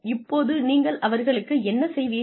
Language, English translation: Tamil, Now, what do you do with them